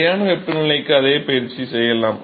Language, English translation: Tamil, One could do the same exercise for constant temperature